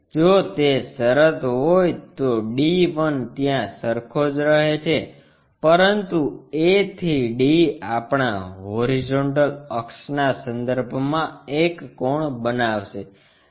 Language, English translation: Gujarati, If that is the case, d 1 remains same there, but a a to d is going to make an inclination angle with respect to our horizontal axis